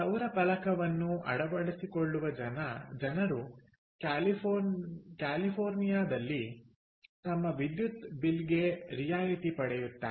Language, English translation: Kannada, so people who put up a solar panel, lets say in california, they get a rebate on their electricity bill